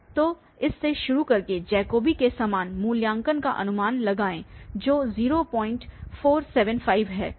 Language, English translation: Hindi, So, starting with this guess the same evaluation as in the Jacobi 0